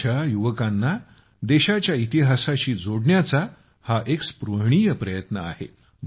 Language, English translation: Marathi, This is a very commendable effort to connect our youth with the golden past of the country